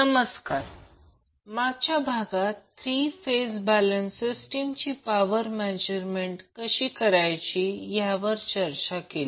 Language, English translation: Marathi, In last session we were discussing about the power measurement for a three phase balanced system